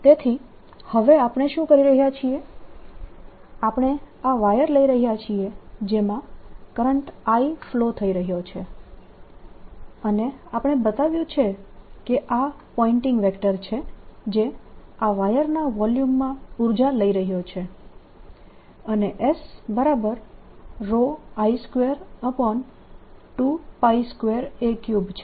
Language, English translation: Gujarati, so now what we are doing is we're taking this wire in which there is a current, i flowing, and we have shown that there is this pointing vector that is taking the energy into the volume of this wire, and s is nothing but rho